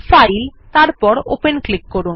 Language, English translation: Bengali, Click on File and Open